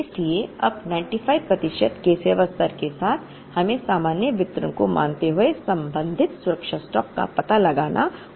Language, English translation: Hindi, So, with the service level of 95 percent now, we have to find out the corresponding safety stock assuming the normal distribution